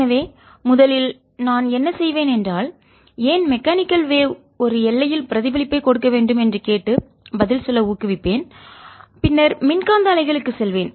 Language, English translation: Tamil, so first what i'll do is motivate why reflection should take place at a boundary through mechanical waves and then go over to electromagnetic waves